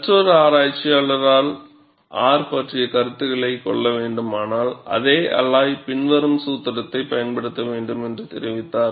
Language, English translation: Tamil, And another researcher reported that, if negative R is to be considered, then one should use the following formula, for the same alloy